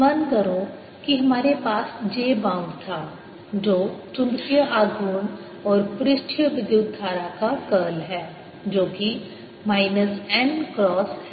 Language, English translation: Hindi, recall that we had j bound, which was curl of magnetic moment, and surface current, which was minus n cross m